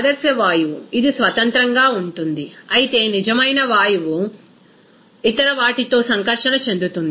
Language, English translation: Telugu, Ideal gas it will be independent, whereas real gas interacts with other